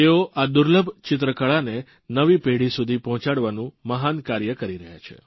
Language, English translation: Gujarati, He is doing a great job of extending this rare painting art form to the present generation